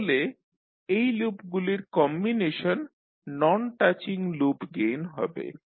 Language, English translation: Bengali, So the combination of these loops will be the non touching loops gains